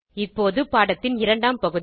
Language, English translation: Tamil, Now to the second part of the lesson